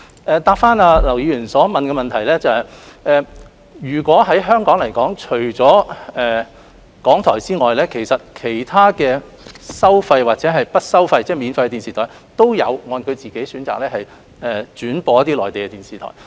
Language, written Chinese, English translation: Cantonese, 關於劉議員的補充質詢，就香港而言，除了港台外，其他收費電視台或免費電視台也有按照其選擇轉播一些內地電視節目。, Regarding Mr LAUs supplementary question in Hong Kong apart from RTHK other pay TV broadcasters or free TV broadcasters also broadcast some Mainland TV programmes according to their preferences